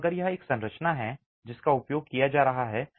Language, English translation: Hindi, So, if it is a structure that is being used